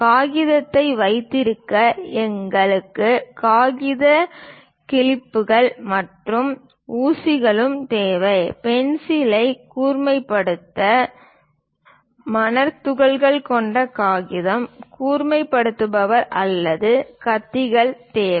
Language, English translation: Tamil, To hold the paper, we require paper clips and pins; and to sharpen the pencil, sandpaper, sharpener, or blades are required